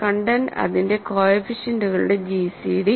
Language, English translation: Malayalam, Content is simply then the gcd of its coefficients